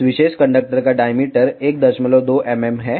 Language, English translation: Hindi, The diameter of this particular conductor is 1